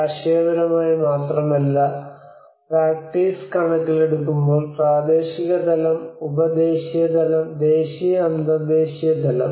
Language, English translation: Malayalam, Not only by conceptually but in terms of practice both regional level, sub national level, national, and international level